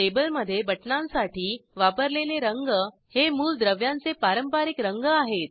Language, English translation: Marathi, Colors used for buttons in the table are conventional colors of the elements